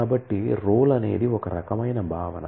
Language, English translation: Telugu, So, role is of that kind of a concept